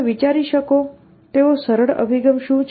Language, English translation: Gujarati, What is the simplest approach you can think